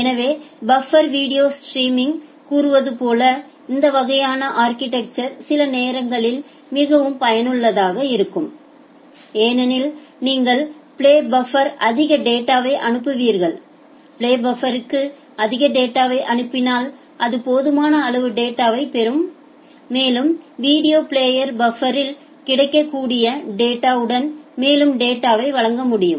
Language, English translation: Tamil, So, for say kind of buffered video streaming, this kind of architecture is sometimes very useful because you will send more data to the play buffer, if you send more data to the play buffer it will get sufficient data and a video player can render further data with the available data in the buffer